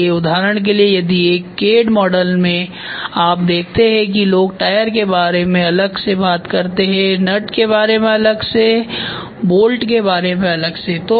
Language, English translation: Hindi, So, for example, in a CAD model if you see people will talk about tyre separately, nut separately, bolt separately